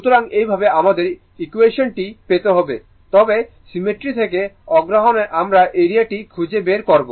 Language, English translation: Bengali, So, in this way you have to get the equation, but remember from the symmetry our interest to get what is the area right how we will find out